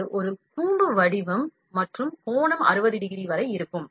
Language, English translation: Tamil, If, it is a conical shape and angle is up to 60 degree